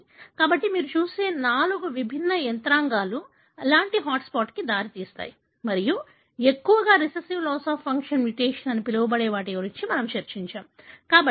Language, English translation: Telugu, So, these are the four distinct mechanisms that you see that results in such kind of hot spots and, and mostly we discussed about what is called as the recessive loss of function mutation